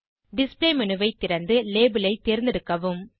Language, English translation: Tamil, Open the display menu, and select Label from the scroll down menu